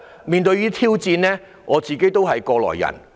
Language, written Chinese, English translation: Cantonese, 面對這些挑戰，我也是過來人。, I have faced these challenges and I am no stranger to them